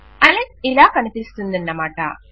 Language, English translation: Telugu, This is how Alex appears